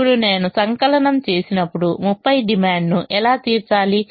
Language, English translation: Telugu, now when i sum how i have to meet the demand of thirty